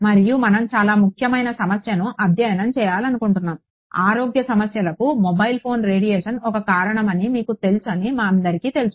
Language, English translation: Telugu, And we are wanting to study a very important problem, all of us know that you know mobile phone radiation is a possible cause for concern health issues